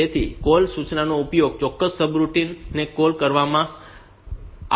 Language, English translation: Gujarati, So, the call instruction will be used for calling a particular subroutine